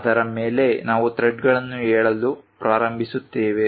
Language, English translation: Kannada, On which we start saying the threads